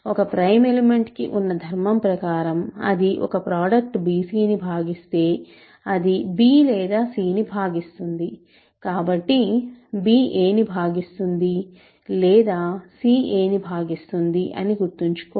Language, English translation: Telugu, A prime element has the property that if it divides a product, it divides b, if it divides a product bc, it divides either b or c, but b remember divides a or c divides a